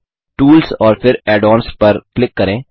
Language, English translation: Hindi, Click on Tools and then on Add ons